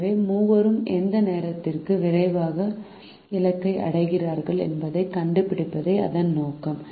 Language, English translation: Tamil, so the the objective is to find out the time at which all three reach them destination at the earliest